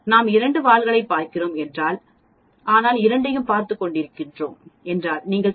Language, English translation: Tamil, If we are looking at 2 tails but that means, if we are looking at both the sides all you have to do is multiply 0